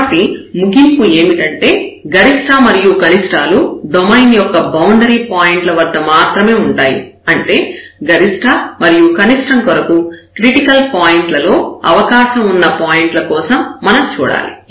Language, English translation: Telugu, So, the conclusion here that maximum and minimum can occur only at the boundary points of the domain; that is a one and the second the critical points which we have to look for the possible candidates for maximum and minimum